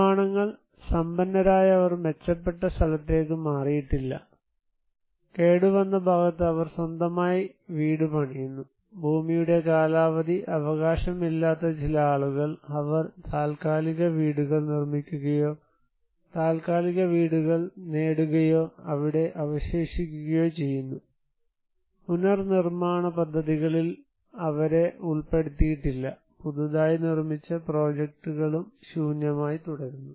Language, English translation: Malayalam, Constructions; those who are rich they did not relocate better off and they build their own house in the damaged side, some people who did not have the land tenure rights, they constructed temporary houses or got a temporary houses and remaining there, they were not included into the reconstruction projects and the newly constructed projects remain unoccupied